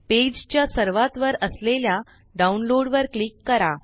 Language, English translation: Marathi, Click on Download at the top of the page